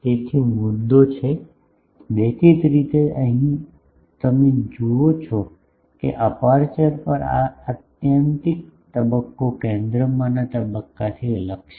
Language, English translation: Gujarati, So, the point is; obviously, here you see that at the aperture the phase at this extreme point is different from the phase at the center